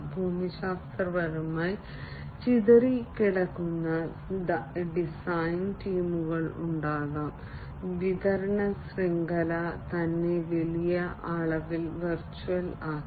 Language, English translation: Malayalam, There could be geographically dispersed design teams supply chain itself has been made virtual to a large extent